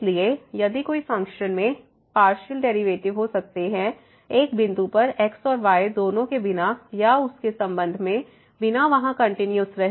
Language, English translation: Hindi, So, if a function can have partial derivative without or with respect to both and at a point without being continuous there